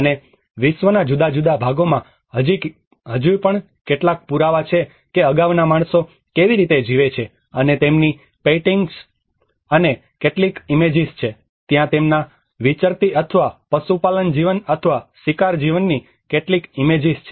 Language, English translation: Gujarati, And different parts of the world still carry some evidences that how the earlier man have lived and some images of their paintings, there have been some images of their nomadic or pastoral life or hunting life you know